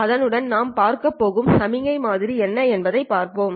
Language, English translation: Tamil, With that, let us look at what is the signal model that we are looking at